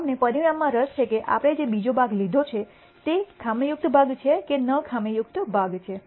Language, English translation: Gujarati, We are interested in the outcome whether the second part that we have picked is it a defective part or a non defective part